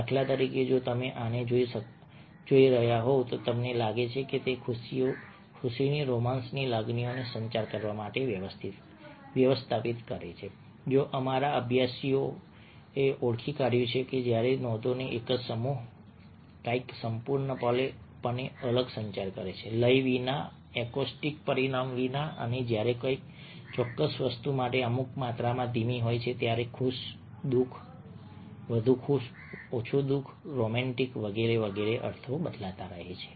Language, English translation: Gujarati, for instance, if you are looking at this, you will find that a manages to communicate emotions of happiness, of romance that's what our studies have identified whereas a same set of notes communicates something entirely different, without the acoustic dimension we have given and when there is certain slowness to a particular thing happy, sad, more happy, less happy, romantic, so on and so forth the meanings keep on changing